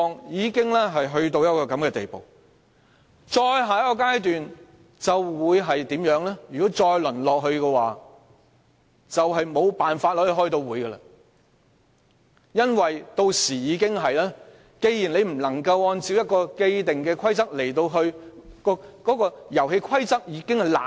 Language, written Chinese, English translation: Cantonese, 如果議會繼續淪落，便無法開會了，因為屆時已無法按照既定的規則......因為遊戲規則已腐爛。, If the Council continues to degenerate no meeting can proceed because by then there is no way to follow the established rules because the rules of the game have gone rotten